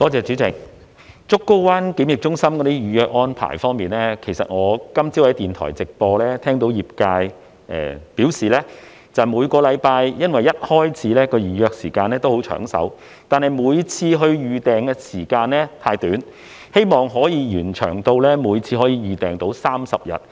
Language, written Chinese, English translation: Cantonese, 主席，檢疫中心在預約安排方面，我今早聽到業界在電台直播節目中表示，每星期一開始的預約時間都很"搶手"，但是每次預訂時間太短，希望延長至可以提前30日預訂。, President regarding the reservation arrangement I heard the industry say in a live radio programme this morning that the demand was huge when the reservation was open every Monday onwards but the reservation period was too short and I hoped that reservation can be made 30 days in advance